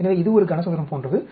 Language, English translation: Tamil, So, it is like a cube